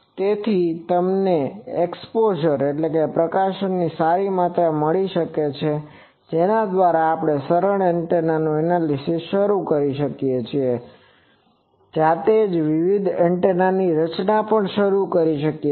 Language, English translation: Gujarati, So, but you have got a good amount of exposure by which you can start analyzing the simple antennas and also yourself start designing various antennas